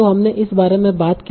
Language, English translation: Hindi, So we talked about this